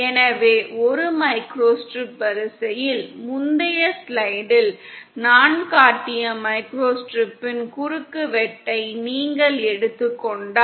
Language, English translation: Tamil, So in a microstrip line, you have, if you take a cross section of a microstrip, which I showed in the previous slide